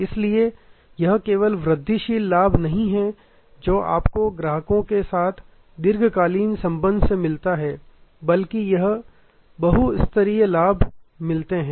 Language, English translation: Hindi, So, it is just not incremental benefit that you get from long term relationship with the customer, but you get multiple multi tear benefits